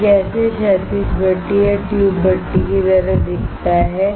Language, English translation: Hindi, This is how horizontal furnace or tube furnace look like